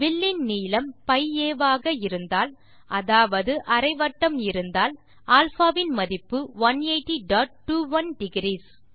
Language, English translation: Tamil, We notice that when the arc length is [π a] that is a semi circle, the value of α is 180.21 degrees